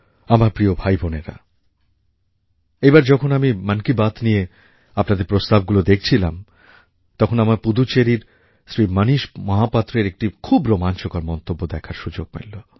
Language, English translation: Bengali, My dear brothers and sisters, when I was going through your suggestion for Mann Ki Baat this time, I found a very interesting comment from Shri Manish Mahapatra from Pudducherry